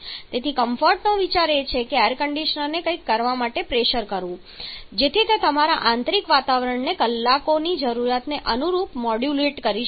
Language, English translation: Gujarati, So the idea of comfort is to force the Air Conditioner to perform something so that it can modulate your interior environment to suit the need of hours